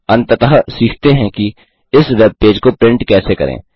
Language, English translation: Hindi, Finally, lets learn how to print this web page